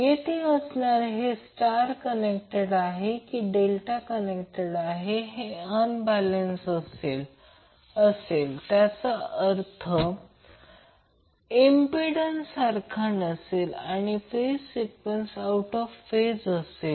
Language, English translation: Marathi, Now whether it is star connected or delta connected will say that if it is unbalanced then the phase impedance will not be equal and the phase sequence will also be out of phase